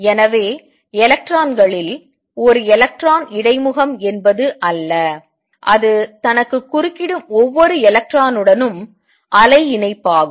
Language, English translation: Tamil, So, it is not that an electron interface over on electron, it is wave associate with each single electron that interfere with itself